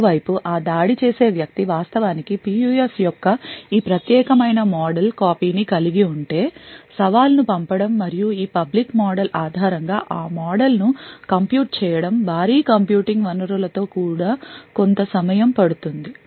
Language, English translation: Telugu, On the other hand, if that is an attacker who actually has a copy of this particular model of the PUF, sending the challenge and computing the model based on this public model would take quite some time even with heavy computing resources